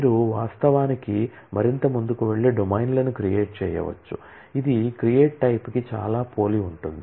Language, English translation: Telugu, You can also actually go further and create domains which is very similar to create type